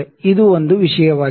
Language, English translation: Kannada, This was one thing